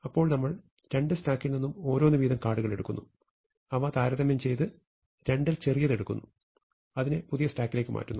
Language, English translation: Malayalam, Then what we will do is we will look at the top most cards in each stack, and take the smaller of the two, and move it to a new stack